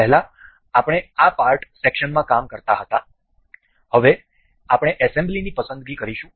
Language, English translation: Gujarati, Earlier you we used to work in this part section, now we will be selecting assembly